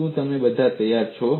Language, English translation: Gujarati, Are you all ready